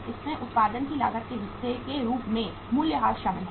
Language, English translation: Hindi, It includes depreciation as part of cost of production